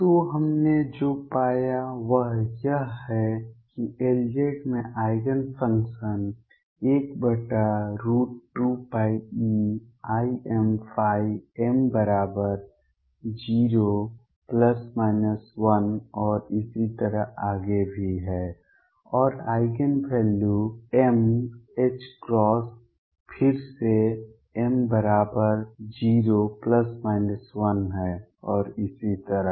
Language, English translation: Hindi, So, what we found is that L z has Eigen functions one over root 2 pi e raise to i m phi m equals 0 plus minus 1 and so on and Eigen values are m h cross again m equals 0 plus minus 1 and so on